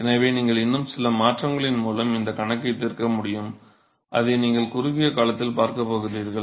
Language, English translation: Tamil, So, still you have you can still solve this problems by some transformation you going to see that in the short while